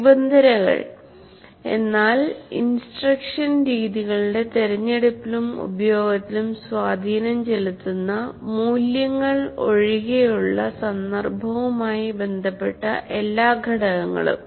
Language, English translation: Malayalam, Conditions, all factors related to the context other than values that have influence on the choice and use of instructional methods